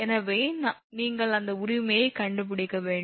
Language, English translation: Tamil, So, just you have to stick to with that right